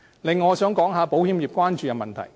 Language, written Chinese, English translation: Cantonese, 此外，我想說說保險業所關注的問題。, Besides I would like to talk about the issues of concern of the insurance industry